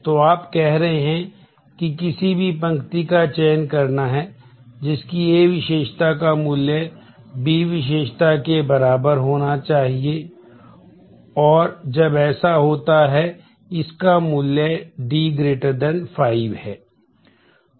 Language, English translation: Hindi, So, you are saying that that any row to be selected, the value of it is A attribute should equal the value of it is B attribute and when that happens the value of it is D attribute must be greater than 5